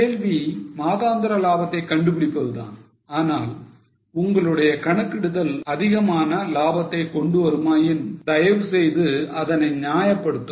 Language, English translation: Tamil, The question was find monthly profits and if your calculation brings out higher profits kindly justify the findings